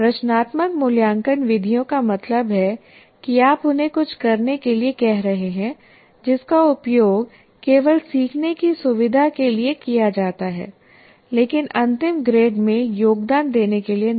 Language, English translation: Hindi, Formative assessment methods means you are asking them to do something, but they are only used for facilitating learning but not for contributing to the final grade or any such activity